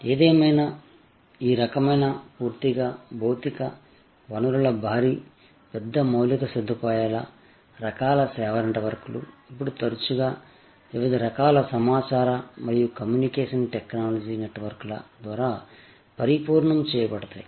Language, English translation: Telugu, However, these kinds of purely physical, resource heavy, big infrastructure type of service networks are now often complemented by different kinds of information and communication technology networks